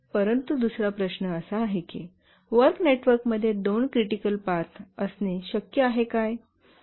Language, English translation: Marathi, But the other question, is it possible to have two critical paths in a task network